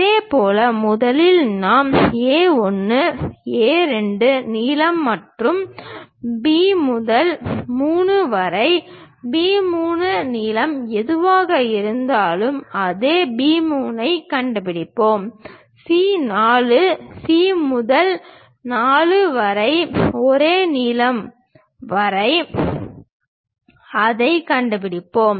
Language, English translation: Tamil, In the similar way first we locate A 1, A 2, length then B to 3 whatever the B 3 length we have same B 3 we will locate it; from C 4 C to 4 same length we will locate it